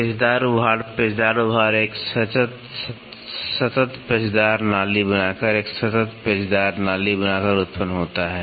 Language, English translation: Hindi, Helical ridge, helical ridge produced by forming a continuous helical groove, forming a continuous helical groove